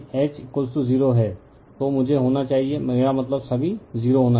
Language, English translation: Hindi, If H is equal to 0, I has to be I mean your 0 all right